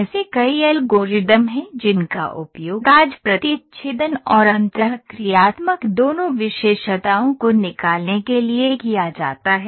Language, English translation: Hindi, There are several algorithms are used today to, for extracting both intersecting and interacting features